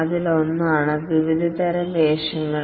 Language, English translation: Malayalam, One are the various types of roles